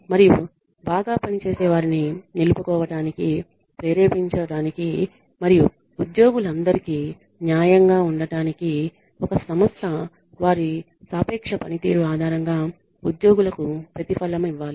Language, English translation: Telugu, And to attract retain and motivate high performers and to be fair to all employees a company needs to reward employees on the basis of their relative performance